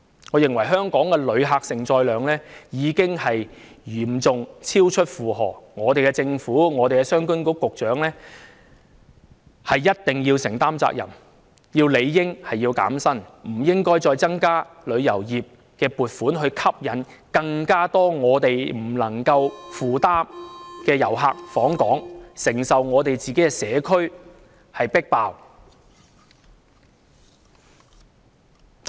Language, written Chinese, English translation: Cantonese, 我認為香港的旅客承載量已經嚴重超出負荷，政府、商務及經濟發展局局長一定要承擔責任，局長理應要減薪，而且，政府亦不應再增加旅遊業撥款以吸引更多遊客訪港，令本港不能夠負擔，要我們承受社區"迫爆"的結果。, In my view the tourist receiving capacity of Hong Kong has been grossly overloaded and for this the Government and the Secretary for Commerce and Economic Development must be held accountable . The Secretary should have his emoluments reduced and also the Government should stop increasing the funding for the tourism industry to attract more visitors to Hong Kong as this will end up overburdening Hong Kong and subjecting us to the consequence of overcrowded communities